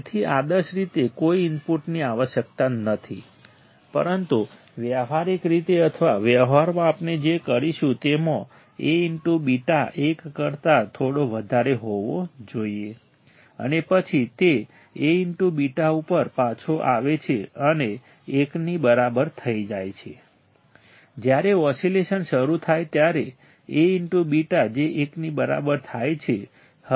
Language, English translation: Gujarati, So, ideally there is no input required, but practically or in practice what we will do will have A into beta should be slightly greater than one and then it comes back to A into beta becomes equal to 1 once oscillation start the A into beta becomes gets equal to 1